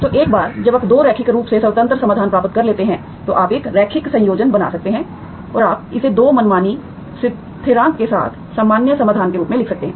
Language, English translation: Hindi, So once you get 2 linearly independent solutions, you can make a linear combination and you can write it as general solution with 2 arbitrary constant